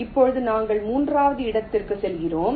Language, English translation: Tamil, now we move to the third